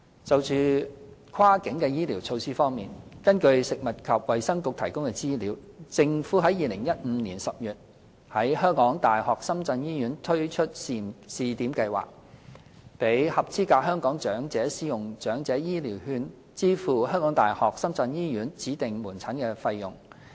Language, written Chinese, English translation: Cantonese, 就"跨境"醫療措施方面，根據食物及衞生局提供的資料，政府於2015年10月在香港大學深圳醫院推出試點計劃，讓合資格香港長者使用長者醫療券支付香港大學深圳醫院指定門診的費用。, In respect of the provision of cross - boundary medical services according to information from the Food and Health Bureau the Government launched the Pilot Scheme at the University of Hong Kong―Shenzhen Hospital under the Elderly Health Care Voucher HCV Scheme in October 2015 . The scheme enables eligible Hong Kong elderly people to use HCVs to pay for designated outpatient services at the University of Hong Kong - Shenzhen Hospital